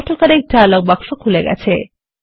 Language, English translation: Bengali, The AutoCorrect dialog box will open